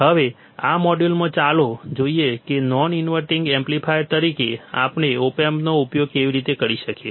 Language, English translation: Gujarati, Now, in this module, let us see how we can use the op amp as a non inverting amplifier